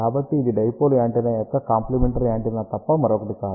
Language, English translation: Telugu, So, this is nothing but a complementary antenna of dipole antenna